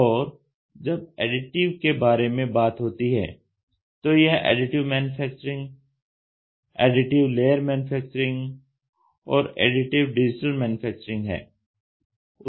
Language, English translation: Hindi, When it comes to additive, it is Additive Manufacturing, Additive Layer Manufacturing, Additive Digital Manufacturing it is almost the same